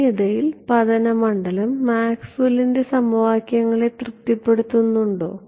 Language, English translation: Malayalam, In vacuum does the incident field satisfy Maxwell’s equations